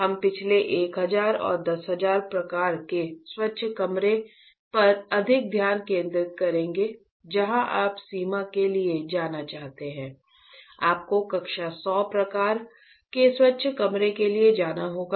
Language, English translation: Hindi, We will be focusing more on last 1000 and 10,000 kind of clean room where you want to go for boundary, you have to go for class 100 kind of clean room, right